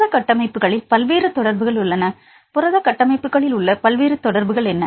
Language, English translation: Tamil, There are various interactions in protein structures what are the various interactions in protein structures